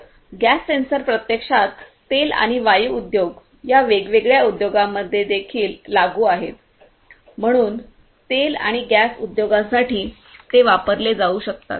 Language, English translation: Marathi, So, those gas sensors are actually also applicable in these different industries; oil and gas industries right